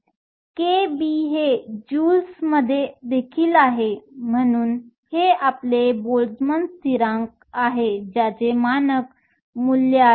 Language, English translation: Marathi, K b is also in joules, so it is your Boltzmann constant that has a standard value